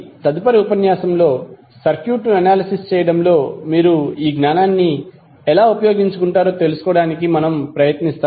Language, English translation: Telugu, So, in next lecture we will try to find out, how you will utilize this knowledge in analyzing the circuit